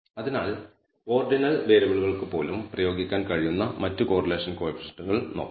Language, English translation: Malayalam, So, let us look at other correlation coefficients that can be applied even to ordinal variables